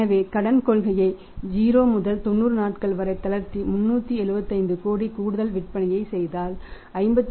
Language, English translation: Tamil, 70 crores if we relax the credit policy by 90 days from 0 and making the additional sales of 375 crores